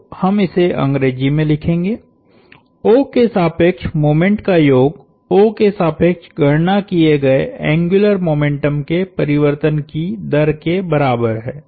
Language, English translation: Hindi, So, we will write it in English, sum of moments about O, so is equal to the rate of change of angular momentum computed about O, an axis through O